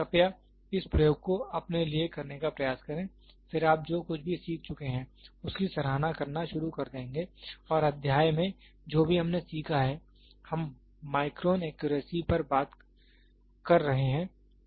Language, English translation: Hindi, Please try to do this experiment for yourself, then you will start appreciating whatever we have learnt and the chapter whatever we have learnt, we are talking on micron accuracy